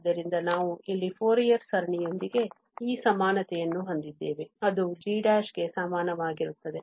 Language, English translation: Kannada, So, we have this equality here with the Fourier series of this which is equal to g prime